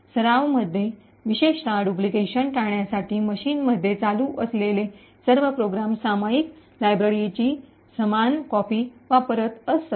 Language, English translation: Marathi, In practice, typically to prevent duplication, all programs that are running in a machine would use the same copy of the shared library